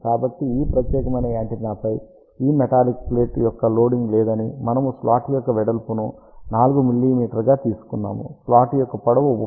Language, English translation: Telugu, So, that there is a no loading of this metallic plate on this particular antenna over here, we have taken the width of the slot as 4 mm slot length is 31